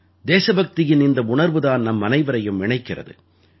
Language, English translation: Tamil, This feeling of patriotism unites all of us